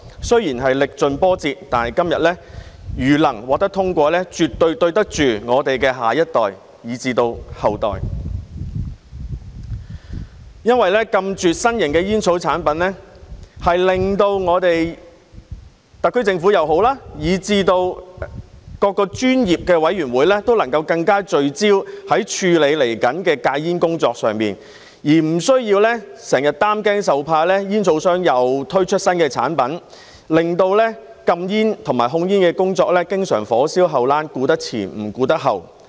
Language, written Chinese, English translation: Cantonese, 雖然是歷盡波折，但《條例草案》如能在今天獲得通過，我們絕對對得住我們的下一代以至後代，因為禁絕新型煙草產品，令特區政府以至各個專業委員會均能更聚焦處理未來的戒煙工作，無須整日擔驚受怕，恐怕煙草商又推出新產品，令禁煙和控煙工作經常"火燒後欄"，顧得了前面，卻顧不了後面。, Despite all the twists and turns if the Bill can be passed today we have absolutely acted responsibly for our next and future generations because a complete ban on novel tobacco products will enable the SAR Government and various professional committees to focus more on the smoking cessation work in the future . There will be no need to worry all the time that tobacco companies will introduce new products frequently causing problems here and there in the smoking prohibition and tobacco control work which we may not be able to address concurrently